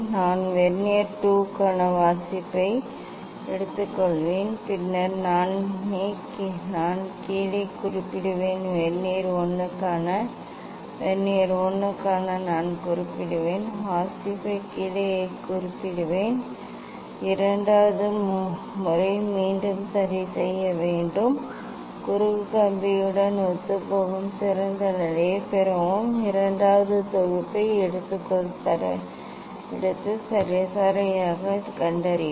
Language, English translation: Tamil, I will take reading for Vernier 2 then I will note down I will note down for Vernier 1 for Vernier 2 I will note down the reading Then you take the second time just again try to adjust and get better position coinciding with the cross wire take the second set and find out the mean